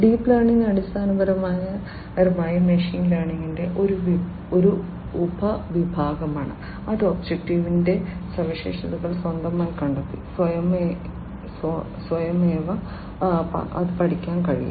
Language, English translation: Malayalam, Deep learning, basically, is a subset of machine learning, which can learn automatically by finding the features of the object on its own